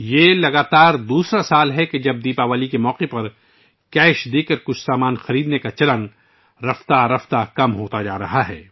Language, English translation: Urdu, This is the second consecutive year when the trend of buying some goods through cash payments on the occasion of Deepawali is gradually on the decline